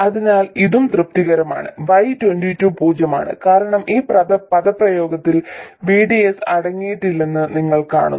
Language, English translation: Malayalam, So, this is also satisfied, right, Y22 is 0 because you see that this expression does not contain VDS